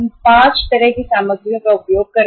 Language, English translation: Hindi, We are using 5 kind of the materials